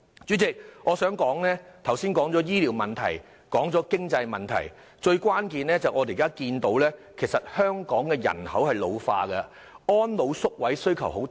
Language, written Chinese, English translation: Cantonese, 主席，我剛才已提及醫療問題和經濟問題，但另一關鍵問題是香港人口老化，對安老宿位的需求很大。, President I have already touched on the medical problem and the financial issue but the keen demand for residential care places for the elderly is another crucial factor and it is brought about by the problem of an ageing population in Hong Kong